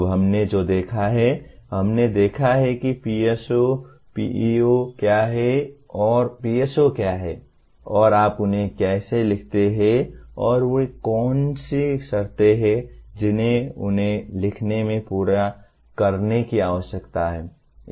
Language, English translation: Hindi, Now, what we have seen is, we have seen what are PSOs, PEOs and what are PSOs and how do you write them and what are the conditions that need to be fulfilled in writing them